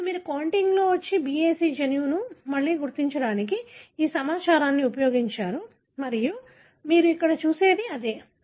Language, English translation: Telugu, Now, you had used this information to locate again the gene BAC in the contig and that is what you see here